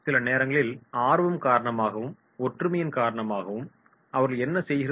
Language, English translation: Tamil, Sometimes because of the interest, because of certain similarities what they do